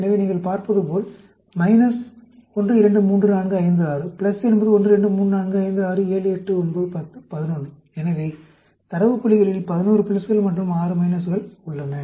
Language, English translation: Tamil, So, as you can see the minus 1, 2, 3, 4, 5, 6; plus is 1, 2, 3, 4, 5, 6, 7, 8, 9, 10, 11; so, you have 11 pluses and 6 minuses in 17 data points